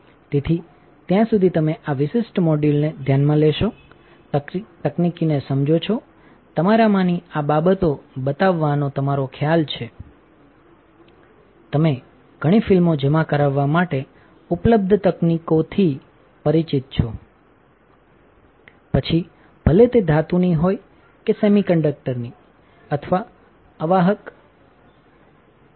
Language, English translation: Gujarati, So, till then you take care look at the this particular module, understand the technology right the idea of you of me showing these things to you is to make, you familiar with the technologies available for depositing several films whether it is metal or semiconductor or insulator all right